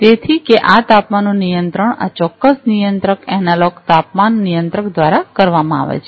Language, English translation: Gujarati, So, that the controlling of this temperature is done through this particular controller, the analog temperature controller